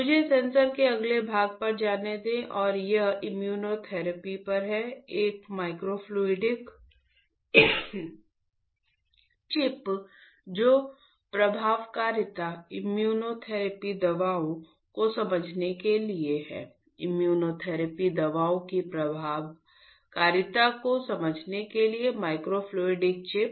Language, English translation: Hindi, Let me move to the next part of the sensor and this is on the immunotherapy, a microfluidic chip sorry microfluidic chip for understanding the efficacy immunotherapy drugs; microfluidic chip for understanding the efficacy of the immunotherapy drugs